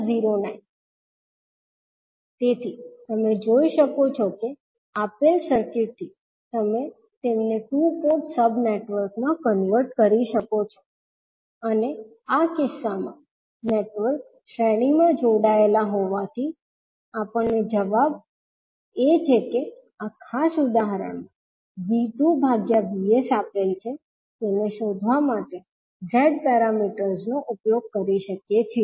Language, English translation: Gujarati, So you can see, with the given circuit you can convert them into two port sub networks and since in this case the network is connected in series, we can utilise the Z parameters to find out the answer that is V 2 by VS given in this particular example